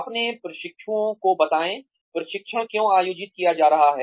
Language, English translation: Hindi, Tell your trainees, why the training is being conducted